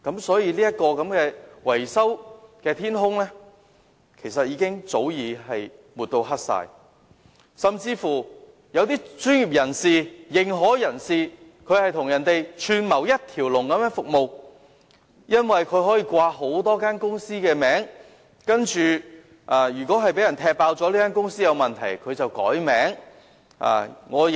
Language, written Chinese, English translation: Cantonese, 所以，這片維修的天空早已被抹黑，甚至一些專業人士或認可人士更與人串謀提供一條龍服務，因為他們可以利用多間公司的名字，即使他們的公司被揭露有問題，便更改公司名字。, So this sky of maintenance has long been blackened . Worse still some professionals or authorized persons have conspired with others to provide one - stop services . It is because they can operate under the names of many companies and even if their companies are revealed to have problems they can simply change the names of the companies